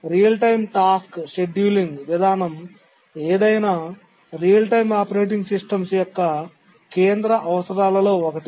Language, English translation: Telugu, Real time task scheduling policy, this is one of the central requirements of any real time operating systems